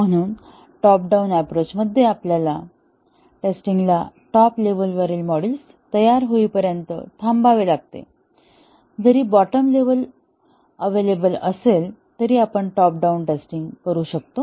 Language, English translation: Marathi, So, in a purely top down approach, our testing has to wait until the top level modules are ready, even though the bottom levels are available we can do a pure top down testing